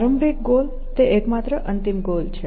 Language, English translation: Gujarati, The initial goal is the only final goal